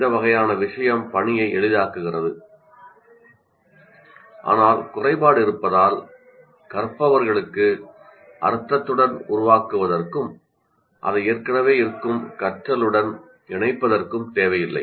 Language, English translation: Tamil, While this kind of thing makes the task simple, but has the disadvantage that it does not require learners to create a meaning and to connect it to their existing learning